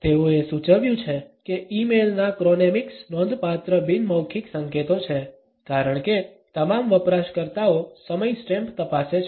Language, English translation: Gujarati, They have suggested that chronemics of e mail are significant nonverbal cues as all users check the time stamps